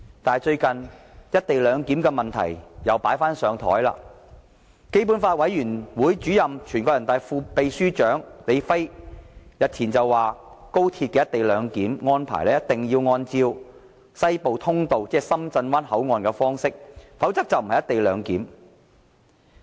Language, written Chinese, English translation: Cantonese, 但是，最近"一地兩檢"問題又被"擺上檯"，基本法委員會主任兼人大常委會副秘書長李飛日前表示，高鐵的"一地兩檢"安排一定要按照西部通道，即深圳灣口岸的方式，否則便不是"一地兩檢"。, Nevertheless the arrangement for co - location of boundary control has recently become a point at issue . LI Fei Chairman of the Committee for the Basic Law and Deputy Secretary General of NPCSC said that the co - location arrangement at the Express Rail Link had to comply with that at the Hong Kong - Shenzhen Western Corridor ; otherwise it would not be regarded as the co - location arrangement . Let us consider about the matter